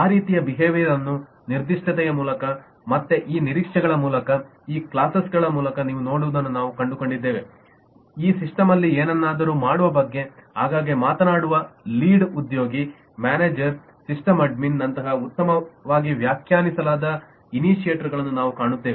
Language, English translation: Kannada, and if you look and go through the specification again, through these expectations, through this classes, we will find very well defined initiators like lead, manager, sysadmin, who are frequently talking about doing something in the system